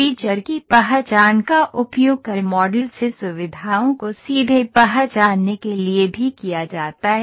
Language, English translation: Hindi, The feature recognition is also used to directly recognise features from the CAD model